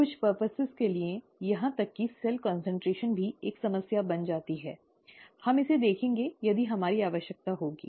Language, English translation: Hindi, For certain purposes, even cell concentration becomes a problem, we will, we will look at it if we have a need